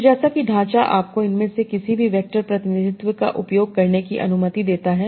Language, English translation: Hindi, So as is the framework allows you to use any of these vector representations